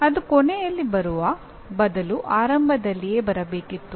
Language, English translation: Kannada, That ought to have come in the beginning rather than at the end